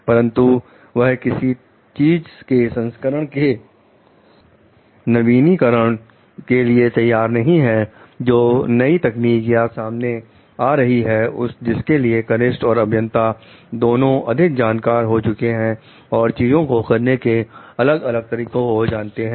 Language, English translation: Hindi, But, he or she may not be updated about the newer versions of thing coming up newer technologies coming up which the maybe the junior and engineer is more like updated about knows different ways of doing things